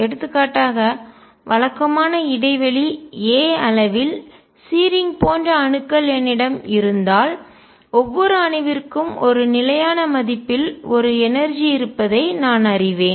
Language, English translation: Tamil, For example, if I have atoms like searing on regular interval a then I know that each atom has an energy at a fixed value